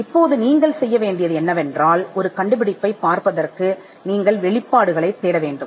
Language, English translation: Tamil, Now what you do is to find an invention, you have to look for disclosures